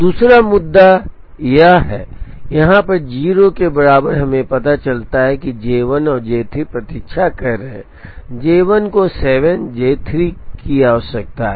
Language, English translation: Hindi, Second issue is this, at here a t equal to 0 we realize that J 1 and J 3 are waiting, J 1 requires 7, J 3 requires 8